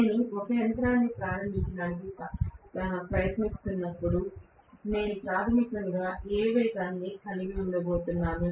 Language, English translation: Telugu, When I am trying to start a machine, I am going to have basically hardly any speed